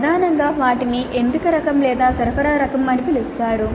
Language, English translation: Telugu, Primarily they can be called as selection type or supply type